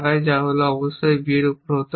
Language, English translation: Bengali, My first goal was that a should be on b